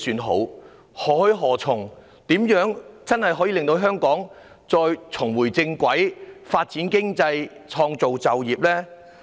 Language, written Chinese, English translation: Cantonese, 如何做才能真正令香港重回正軌、發展經濟、創造就業呢？, What should Hong Kong do? . What should be done to truly put Hong Kong back on the right track to further economic development and to create jobs?